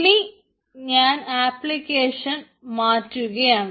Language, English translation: Malayalam, so now i will change the application